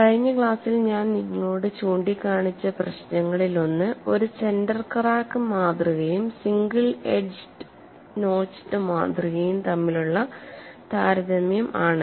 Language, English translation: Malayalam, One of the issues which I pointed out to you in the last class was a comparison between a center crack specimen and a single edge notch specimen